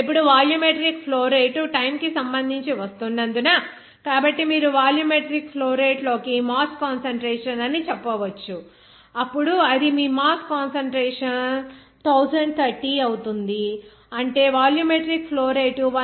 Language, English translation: Telugu, Now, volumetric flow rate since it is the coming with respect to time, so simply you can say that mass concentration of solution into volumetric flow rate, then will be 1030 that is your mass concentration into 1